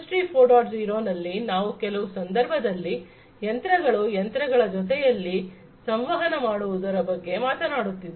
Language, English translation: Kannada, 0, we are also talking about in certain cases machine to machine communication